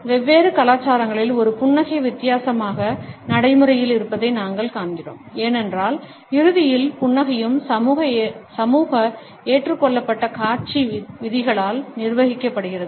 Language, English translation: Tamil, We find that in different cultures a smile is practiced differently, because ultimately smile is also governed by that socially accepted display rules